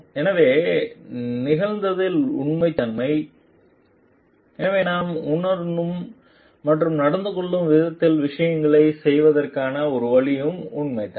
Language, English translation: Tamil, So, genuineness in occurred, so and genuineness in a ways of doing things genuineness in the way that we feel and behave